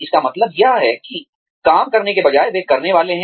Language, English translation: Hindi, What this means is, that instead of doing the work, they are supposed to do